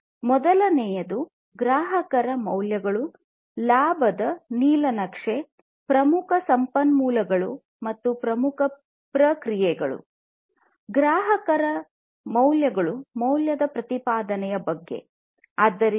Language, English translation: Kannada, Number one is the customer values, blueprint of profits; key resources and key processes